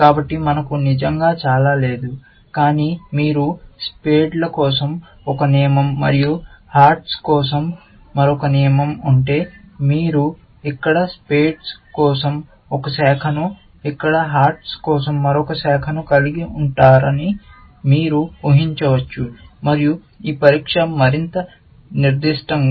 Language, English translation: Telugu, So, we do not really have much, but you can imagine that if we had one rule for spades, and another rule for hearts, then you would have one branch for spades here, and another branch for hearts here, and this test would be more specific